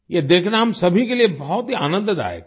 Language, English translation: Hindi, It was a pleasure for all of us to see